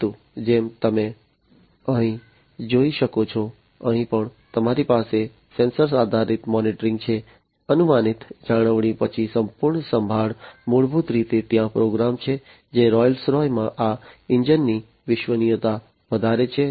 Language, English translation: Gujarati, But, as you can see over here; here also you have sensor based monitoring, predictive maintenance, then total care is basically there program, which increases this engine reliability in Rolls Royce